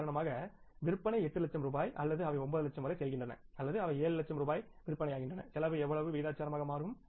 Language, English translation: Tamil, So, what we will do there we will now convert that budget for example sales are 8 lakh rupees or they go up to 9 lakh or they come down to 7 lakh rupees sales then how proportionately the cost will change